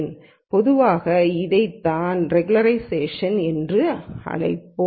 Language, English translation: Tamil, This is what is typically called as regularization